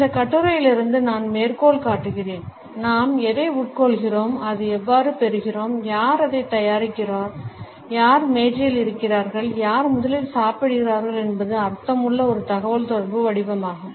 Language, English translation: Tamil, I would quote from this article “what we consume, how we acquire it, who prepares it, who is at the table, who eats first is a form of communication that is rich in meaning